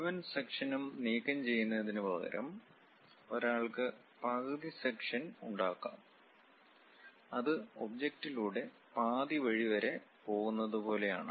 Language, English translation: Malayalam, Instead of removing complete full section, one can make half section also; it is more like go half way through the object